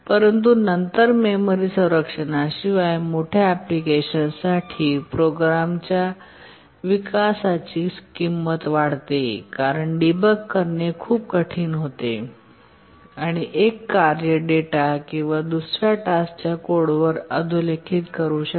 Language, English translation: Marathi, But then for larger application without memory protection, the cost of development of the program increases because debugging becomes very hard, one task can overwrite the data or the code of another task